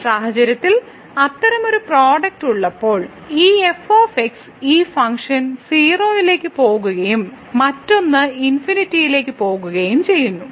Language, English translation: Malayalam, So, in this case when we have such a product where one this function goes to 0 and the other one goes to infinity